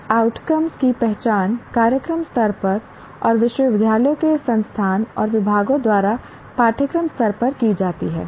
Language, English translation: Hindi, And outcomes are identified at the program level and the course level by the university's institution and also by the departments